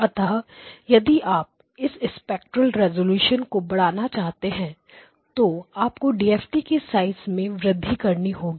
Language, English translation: Hindi, So that is depends on the size of the DFT and if you want to increase the spectral resolution you should increase the size of your DFT okay